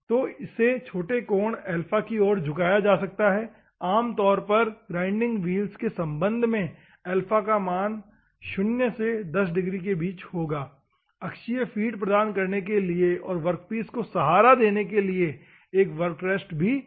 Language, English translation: Hindi, So, it can be tilted the small angle alpha; normally the value will be between 0 to 10 degrees with respect to the grinding wheel, to provide axial feed a work rest also will be provided to support the workpiece normally